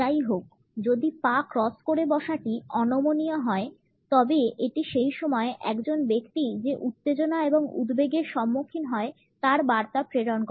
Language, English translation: Bengali, However, if the cross is rigid it communicates the tension and anxiety which a person is facing at that time